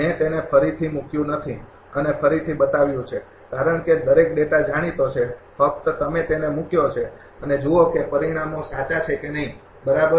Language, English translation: Gujarati, I did not put and showed it again because, every data is known just you put it and see that whether results are correct or not, right